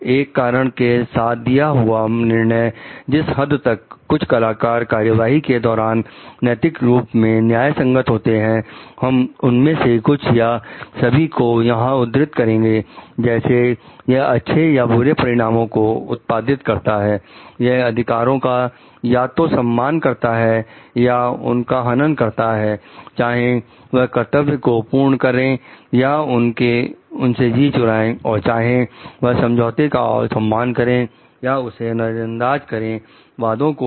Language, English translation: Hindi, A reasoned judgment of about whether or the extent to which some actor course of action is morally justified we will mention some or all of the following like it produces good or bad consequences, it respects or violates rights whether it fulfils or it shirks obligations and whether, it honours or ignores agreements and promises